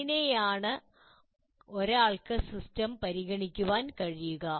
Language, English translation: Malayalam, So that is how one can consider the system